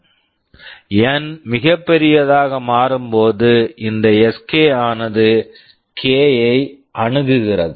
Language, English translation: Tamil, As N becomes very large this Sk approaches k